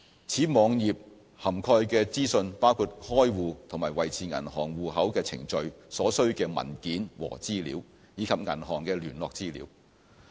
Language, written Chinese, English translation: Cantonese, 此網頁涵蓋的資訊包括開戶和維持銀行戶口的程序、所需的文件和資料，以及銀行的聯絡資料。, The HKMA web page provides information on procedures for bank account opening and maintenance documents required and contact information of banks